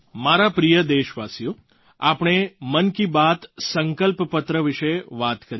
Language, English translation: Gujarati, My dear countrymen, we touched upon the Mann Ki Baat Charter